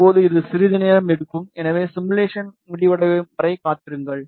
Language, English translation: Tamil, Now, it will take some time, so wait for the simulation to be over